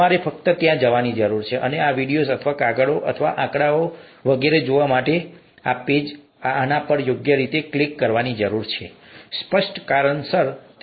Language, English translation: Gujarati, You just need to go and click on these appropriately to go and view these videos or papers or figures and so on, they cannot be included here for obvious reasons